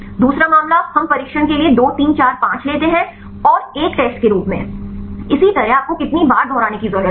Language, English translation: Hindi, The second case, we take 2, 3, 4, 5 for training and one as test; likewise how many times you need to repeat